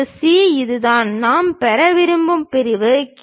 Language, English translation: Tamil, Section C, this is the section what we would like to have